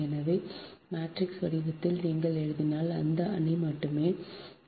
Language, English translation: Tamil, so thats why, in matrix form, if you write only this matrix will be there